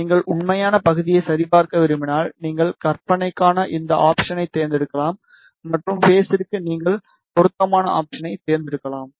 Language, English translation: Tamil, If you want to check the real part, you can select this option for imaginary and for phase you can select the relevant option